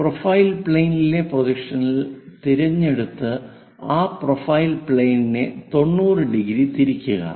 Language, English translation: Malayalam, Something on the profile plane pick it the projection, rotate that profile plane by 90 degrees